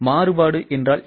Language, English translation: Tamil, What is a variance